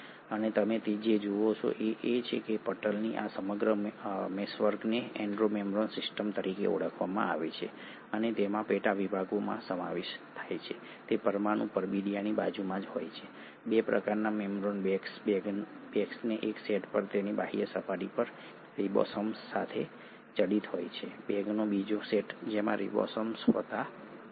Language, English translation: Gujarati, And what you find is that this entire meshwork of these membranes is called as the Endo membrane system, and it consists of subsections, it has right next to the nuclear envelope, 2 kinds of membrane bags, a set of bags which are studded on their outer surface with ribosomes, another set of bags which do not have ribosomes